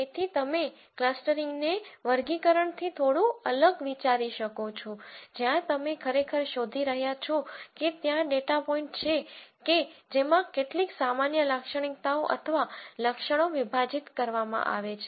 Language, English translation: Gujarati, So, you might think of clustering as slightly different from classification, where you are actually just finding out if there are data points which share some common characteristics or attributes